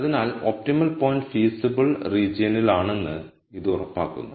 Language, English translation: Malayalam, So this ensures that the optimum point is in the feasible region